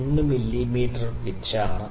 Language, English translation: Malayalam, 1 mm pitch